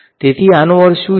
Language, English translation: Gujarati, So, what does this mean